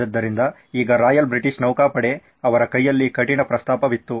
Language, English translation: Kannada, So, now Royal British Navy had a tough proposition in their hand